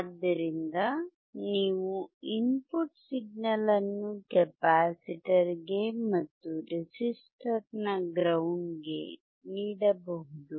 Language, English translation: Kannada, So, you can apply signal at the input of the capacitor and ground of the resistor